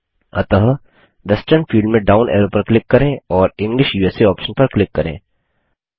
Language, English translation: Hindi, So click on the down arrow in the Western field and click on the English USA option